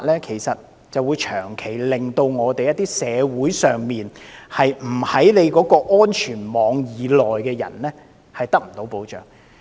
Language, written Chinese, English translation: Cantonese, 其實，這種做法令到在社會上，不在政府的安全網以內的市民，長期得不到幫助。, In fact this approach will render those people outside the Governments safety net in this society chronically unprotected